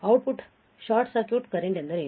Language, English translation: Kannada, What is output short circuit current